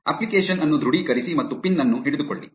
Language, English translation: Kannada, Authorize the app and get hold of the pin